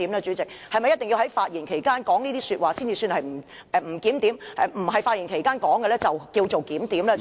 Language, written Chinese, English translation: Cantonese, 主席，是否一定要在其發言期間作此言論才算作不檢點，在非其發言期間便算作檢點呢？, President is it the case that the behaviour of a Member should be regarded as disorderly only if he makes such a remark when he is making a speech but orderly if he makes the same remark when he is not making a speech?